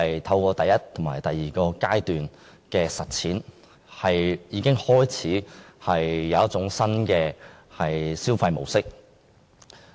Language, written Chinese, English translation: Cantonese, 透過第一及第二階段的實踐，市民已建立新的消費模式。, The first and second phases have shaped a new consumption pattern